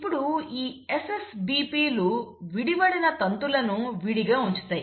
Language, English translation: Telugu, So this SSBPs will now keep the separated strands separated